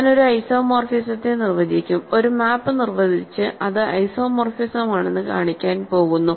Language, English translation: Malayalam, So, I am going to simply define an isomorphism and define a map and show that it is isomorphism